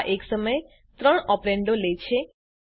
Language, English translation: Gujarati, It Takes three operands at a time